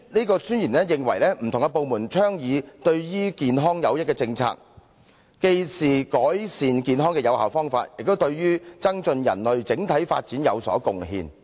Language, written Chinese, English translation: Cantonese, 該宣言認為不同的部門倡議對於健康有益的政策，既是改善健康的有效方法，亦對於增進人類整體發展有所貢獻。, According to that Declaration the proposal of policies beneficial to health by various departments is not only an effective way of improving health but is also making contributions to enhancing the overall development of mankind